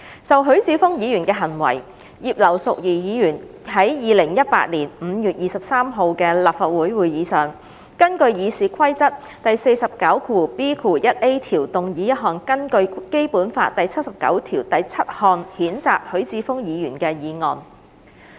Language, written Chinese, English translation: Cantonese, 就許智峯議員的行為，葉劉淑儀議員於2018年5月23日的立法會會議上，根據《議事規則》第 49B 條動議一項根據《基本法》第七十九條第七項譴責許智峯議員的議案。, In the light of the behaviour of Mr HUI Chi - fung at the Council meeting of 23 May 2018 Mrs Regina IP moved a motion under Rule 49B1A of the Rules of Procedure RoP to censure Hon HUI Chi - fung under Article 797 of the Basic Law